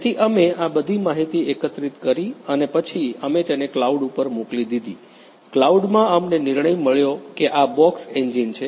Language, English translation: Gujarati, So, we collected you know the you know the more of all these information and then we have send it to the cloud, in the cloud we have got the decision you know the box is an engine